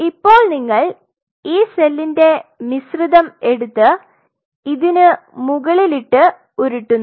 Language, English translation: Malayalam, Now, what you do you take this mixture of cell and you roll the mixture of cell on top of it